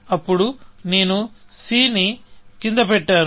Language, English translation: Telugu, Then, you put down c